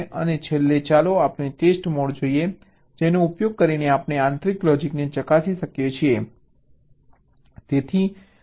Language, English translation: Gujarati, and lastly, let us look at ah test mode, using which we can test the internal logic